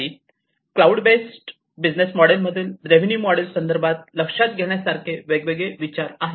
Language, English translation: Marathi, These are the different considerations to come up with the revenue model in the cloud based business model